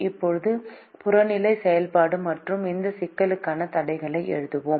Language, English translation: Tamil, now let us write the objective function and the constraints for this problem